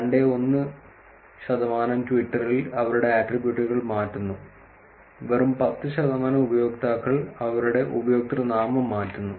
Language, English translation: Malayalam, 7 million users change their attributes on Twitter and just about 10 percent of users change their username